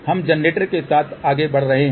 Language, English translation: Hindi, We are moving along the generator